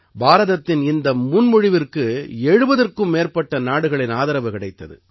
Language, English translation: Tamil, You will also be very happy to know that this proposal of India had been accepted by more than 70 countries